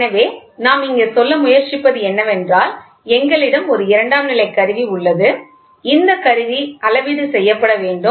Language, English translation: Tamil, So, what we are trying to say here is in secondary, we have an instrument, this instrument has to be calibrated